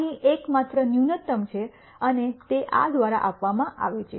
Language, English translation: Gujarati, There is only one minimum here and that is given by this